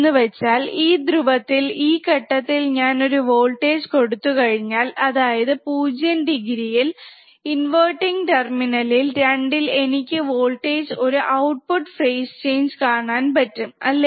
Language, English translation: Malayalam, And I say this is 0 degree, if I apply voltage at input 2 that is inverting terminal, what we can see we can see a voltage the output with a phase change, right